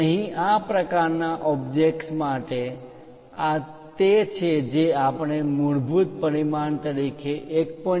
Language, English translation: Gujarati, Here, for an object of this shape this one what we have shown as 1